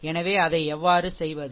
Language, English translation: Tamil, So, how will do it